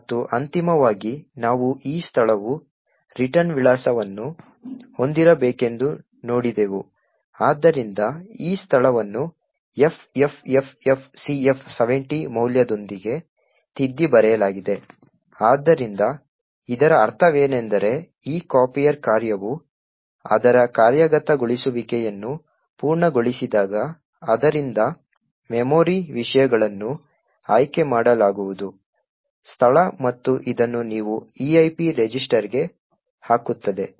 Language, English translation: Kannada, And, finally we see that this location which was supposed to have the return address, so this location is overwritten with the value FFFFCF70, so what this means is that when this copier function completes its execution it is going to pick the memory contents from this location and put this into the EIP register